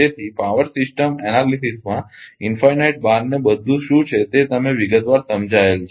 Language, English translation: Gujarati, So, power system analysis what is infinite bar everything detail has been explained